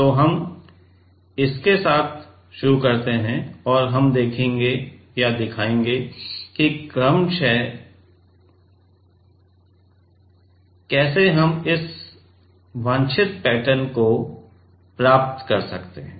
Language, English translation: Hindi, So, we start with that and we will show we will show step by step how we can achieve the this desired pattern ok